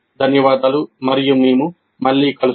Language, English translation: Telugu, Thank you and we'll meet again